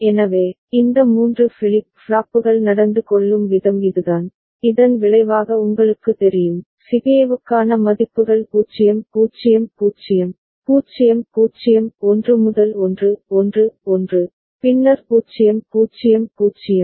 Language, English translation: Tamil, So, this is the way these 3 flip flops behave, and resulting you know, values for CBA are 0 0 0, 0 0 1 to 1 1 1, and then 0 0 0